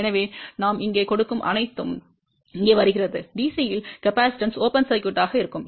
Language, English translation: Tamil, So, whatever we gave here, comes here; at DC, capacitance will be open circuit